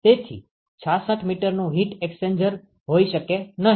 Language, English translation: Gujarati, So, cannot have a heat exchanger with the 66 meters